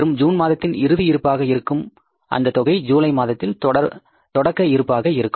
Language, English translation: Tamil, That will be the closing balance for the month of June and finally that will become the opening balance for the month of July